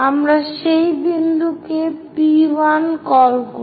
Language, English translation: Bengali, So, let us label this point as P 1